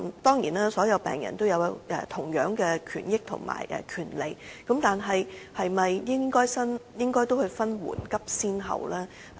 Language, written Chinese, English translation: Cantonese, 當然，所有病人皆享有同樣的權益，但政府是否應該分緩急先後呢？, Certainly all patients enjoy equal rights and interests . But is it correct to say that the Government should draw a distinction among them on the basis of urgency and priority?